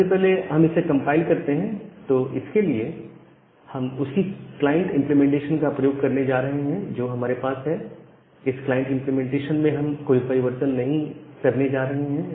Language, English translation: Hindi, Now, let us run this code, first compile it, again we are going to use the same client implementation that we have, the client implementation we are not making any change